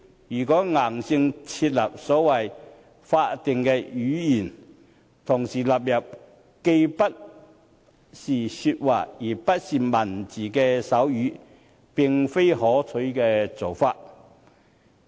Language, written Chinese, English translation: Cantonese, 如果硬性設立所謂法定語言，同時納入既不是說話，亦不是文字的手語，並非可取的做法。, It is not desirable for us to rigidly include sign language which is neither a spoken nor a written language as a statutory language